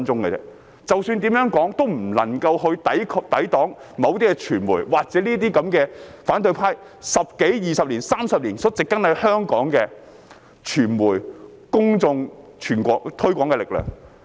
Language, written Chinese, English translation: Cantonese, 無論我們怎樣說，也無法抵擋某些傳媒，或是那些反對派在十多二十年，甚至是30年間，植根在香港的傳媒、公眾的推廣力量。, No matter what we say we cannot ward off certain media or the promotional power of the media and public planted by the opposition in the past 10 to 20 years or even 30 years